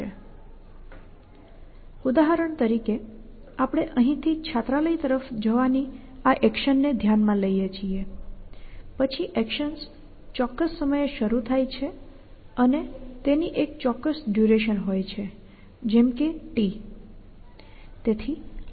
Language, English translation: Gujarati, So, for example, we consider this action of going from here to the hostel then the actions start at a certain time t and it has a certain duration so there is certain amount of time t that is this action takes